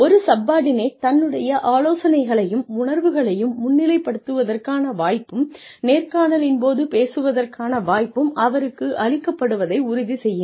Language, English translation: Tamil, Ensure, that the subordinate has the opportunity, to present his or her ideas and feelings, and has a chance to influence the course of the interview